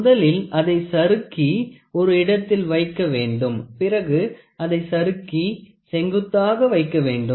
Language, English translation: Tamil, So, first it is allowed to slide and place and then what we do is slide and place a perpendicular